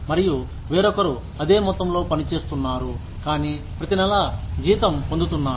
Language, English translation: Telugu, And, somebody else is putting the same amount of work, but is getting paid every month